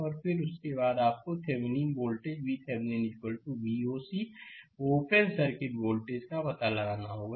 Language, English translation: Hindi, And then, after that you have to find out your Thevenin voltage V Thevenin is equal to V oc, the open circuit voltage